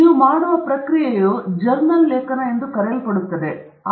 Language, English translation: Kannada, The process by which you do that is called as journal article